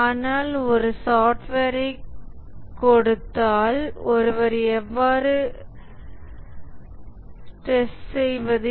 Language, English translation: Tamil, But given a software, how does one go about testing